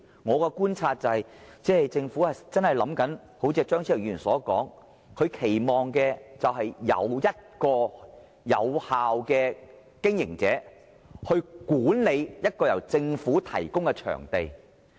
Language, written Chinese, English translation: Cantonese, 我的觀察是，政府所期望的，正如張超雄議員所說，便是由一個有效的經營者去管理一個由政府提供的場地。, According to my observation and as pointed out by Dr Fernando CHEUNG the Government expects an effective operator to manage the government venues